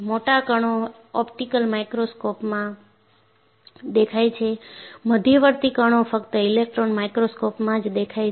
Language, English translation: Gujarati, The large particles are visible in optical microscope, the intermediate particles are visible only in an electron microscope